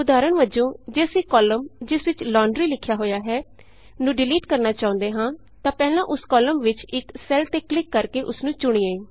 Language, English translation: Punjabi, For example if we want to delete the column which has Laundry written in it, first select a cell in that column by clicking on it